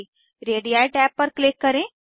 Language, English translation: Hindi, Click on Radii tab